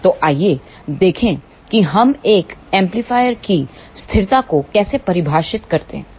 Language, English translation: Hindi, So, let us see how we define stability of an amplifier